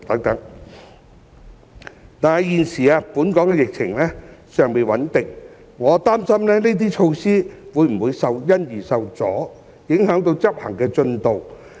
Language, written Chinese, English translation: Cantonese, 然而，鑒於現時本港的疫情尚未穩定，我擔心這些措施會否因而受阻，影響執行進度。, Nevertheless as the prevailing epidemic in Hong Kong has yet to stabilize I am concerned whether any resultant hindrance to such measures will affect their implementation progress